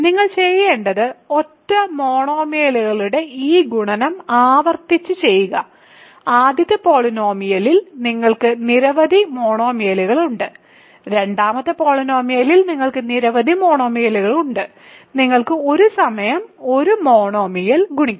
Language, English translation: Malayalam, So, all you need to do is repeatedly do this multiplication of single monomials, you have several monomials in the first polynomial, you have several monomials in the second polynomial and you can multiply a monomial at a time